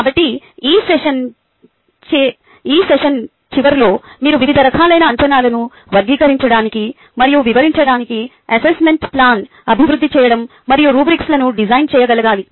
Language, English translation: Telugu, so hopefully at the end of this session you should be able to classify and describe different types of assessment, develop assessment plan and design rubrics